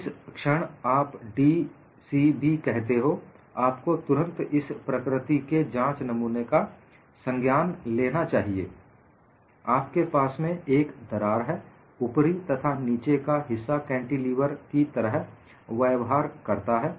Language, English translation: Hindi, Now, once you say d c b, you should recognize you have a specimen of this nature, you have a crack, and the top and bottom portions behave like cantilevers